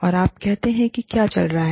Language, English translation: Hindi, And, you say, what is going on